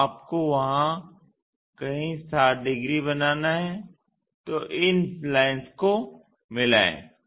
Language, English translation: Hindi, So, you supposed to make 60 degrees somewhere there so join these lines